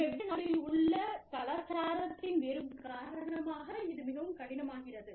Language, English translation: Tamil, And, very difficult, because of the differences, in culture, in different countries